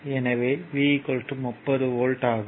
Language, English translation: Tamil, So, v will be is equal to 30 volt